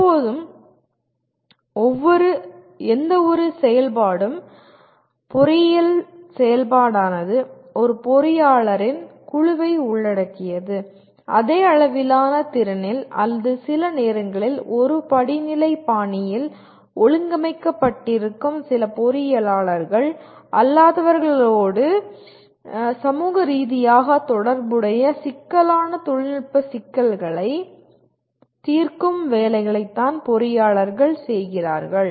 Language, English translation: Tamil, Always any activity, engineering activity will involve a group of engineers, either at the same level of competency or sometimes organized in a hierarchical fashion along with some non engineers they solve socially relevant complex technical problems